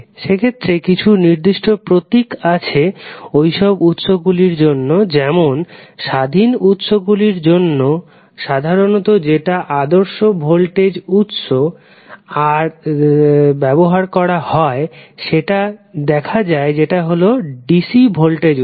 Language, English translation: Bengali, There are certain symbols specified for those sources say in case of independent sources you will see this is the general convention followed for ideal voltage source that is dc voltage source